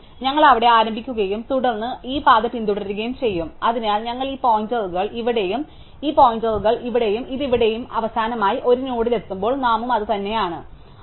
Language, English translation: Malayalam, So, we will start there and then we will follow this path, so we will say this points here and this points here and this points here and finally, when we reach a node which point to itself that is the name